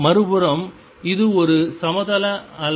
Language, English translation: Tamil, On the other hand this is a plane wave